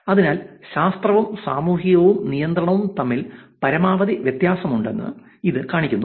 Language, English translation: Malayalam, So, which shows that the science department had the maximum difference between the social and the control